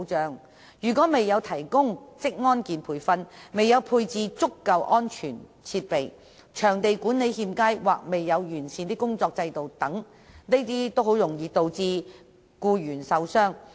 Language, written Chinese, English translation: Cantonese, 在僱主未有為僱員提供職安健培訓或配置足夠安全設備及場地管理欠佳或缺乏完善的工作制度等的情況下，僱員均較易受傷。, In the lack of suitable training in occupational safety and health or adequate safety equipment provided to employees and under poor site management or the absence of an enhanced work system employees may get injured very easily